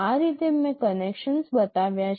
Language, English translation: Gujarati, This is how I have made the connections